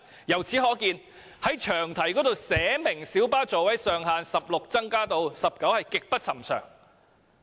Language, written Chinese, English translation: Cantonese, 由此可見，在詳題中寫明將小巴座位上限由16個增至19個的做法極不尋常。, Thus it is a very unusual practice to specify in the long title that the maximum seating capacity of light buses will be increased from 16 to 19